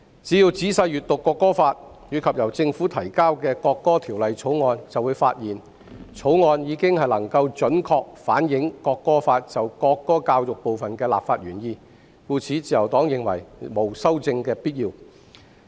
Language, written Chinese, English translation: Cantonese, 只要仔細閱讀《國歌法》，以及由政府提交的《條例草案》，便會發現《條例草案》已經能夠準確反映《國歌法》就國歌教育部分的立法原意，故此，自由黨認為沒有修正的必要。, If we read the National Anthem Law and the Bill introduced by the Government carefully we will find that the Bill has accurately reflected the legislative intent of the National Anthem Law in relation to national anthem education . Hence the Liberal Party does not find any amendment necessary in this regard . In fact the national anthem is already included in the current curriculum guides for primary and secondary schools